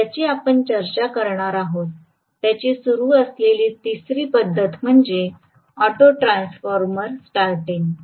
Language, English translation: Marathi, The third method of starting that we are going to discuss is auto transformer starting